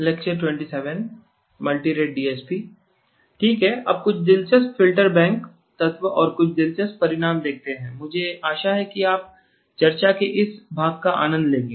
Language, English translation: Hindi, Okay now come some interesting the Filter bank elements and some interesting results I hope you will enjoy this part of the discussion